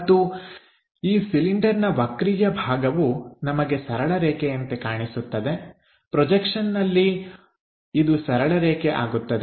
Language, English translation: Kannada, Again this entire cylinder curved portion we see it like a straight line on the projection this one turns out to be a line